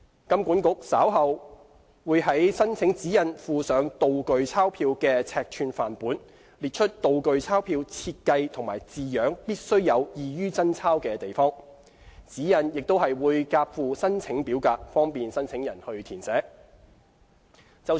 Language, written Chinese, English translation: Cantonese, 金管局稍後會在申請指引附上"道具鈔票"的尺寸範本，列出"道具鈔票"設計和字樣必須有異於真鈔之處；指引亦會夾附申請表格，方便申請人填寫。, HKMA will in slower time attach to the guidelines a set of samples demonstrating the required size of the prop currency notes and distinguishing designs and features that would set the prop notes apart from genuine banknotes . An application form will also be attached to the guidelines to facilitate the applicants filling out of the required information